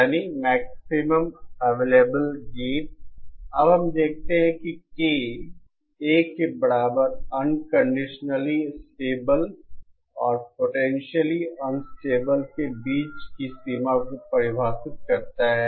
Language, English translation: Hindi, No we see that K equal to 1 defines the boundary between unconditionally stable and potentially unstable